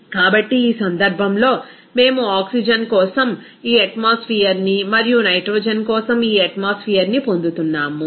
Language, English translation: Telugu, So, in this case, we are getting this atmosphere for oxygen and this atmosphere for nitrogen